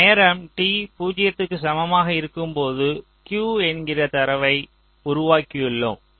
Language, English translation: Tamil, this is my time t equal to zero, where we have generated this data at q